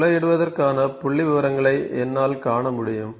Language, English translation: Tamil, So, I can see the statistics for drilling